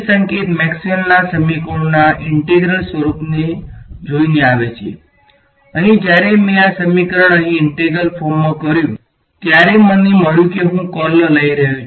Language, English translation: Gujarati, Integral form of Maxwell’s equations right, over here when I did this equation over here in integral form I got I was taking curl